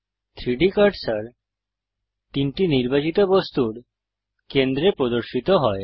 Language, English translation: Bengali, The 3D cursor snaps to the centre of the 3 selected objects